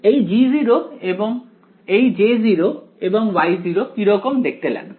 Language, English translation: Bengali, How do these functions J 0 and Y 0 what do they look like